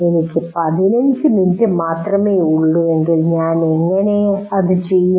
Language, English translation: Malayalam, And whether if I have only 15 minutes, how do I go about doing it